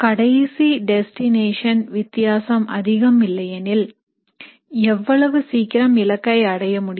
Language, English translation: Tamil, If the final destination difference is not much, how quickly you reach depends on your starting point